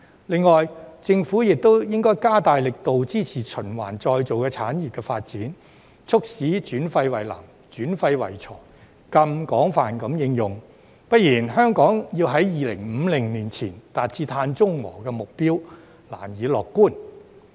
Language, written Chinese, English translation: Cantonese, 另外，政府亦應加大力度支持循環再造產業的發展，促使轉廢為能、轉廢為材更廣泛地應用，不然，香港要在2050年前達至碳中和的目標，難以樂觀。, In addition the Government should also strengthen its support for the development of the recycling industry and promote the more extensive transformation of waste into energy and resources otherwise one can hardly be optimistic that Hong Kong will achieve carbon neutrality before 2050